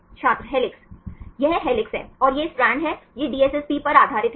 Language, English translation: Hindi, Helix This is helix and this is strand right this is based on the DSSP